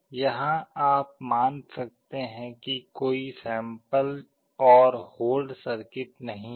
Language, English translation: Hindi, Here you may assume that there is no sample and hold circuit